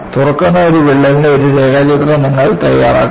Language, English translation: Malayalam, You make a neat sketch of this crack that is opening